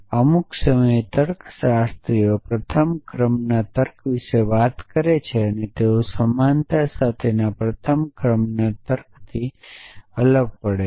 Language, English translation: Gujarati, Sometime logician talk about first order logic and they distinguished from first order logic with equality